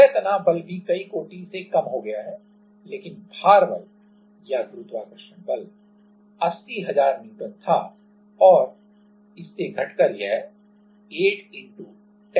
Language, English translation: Hindi, Surface tension force has also decreased by several orders, but the weight force or the gravitational force was 80,000N and from that it came down to 8*10^ 14 N